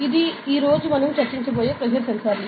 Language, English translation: Telugu, So, this is pressure sensors that we are going to discuss today